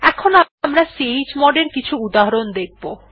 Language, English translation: Bengali, Now we will look at some examples of chgrp command